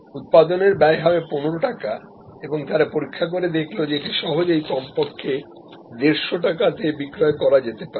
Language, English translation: Bengali, The production cost will be 15 rupees and they did check with the market that it can easily be resold at least and 150 rupees